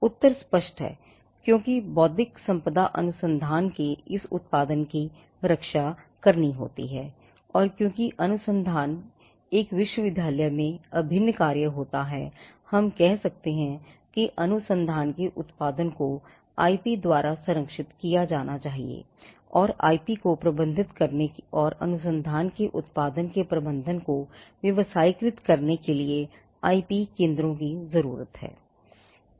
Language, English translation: Hindi, Now, the answer is evident because intellectual property can protect this output of research and because research is an integral function in a university we could say that the output of research can be protected by IP and that IP needs to be managed and for managing the research output which can be commercialized you need IP centres